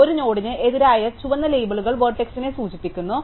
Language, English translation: Malayalam, So, the red labels against a node indicate the vertex